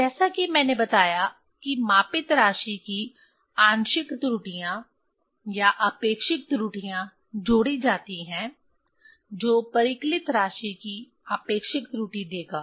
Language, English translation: Hindi, So, as I told this fractionals error or relatives errors of the measured quantity are added which will give the relative error of the calculated quantity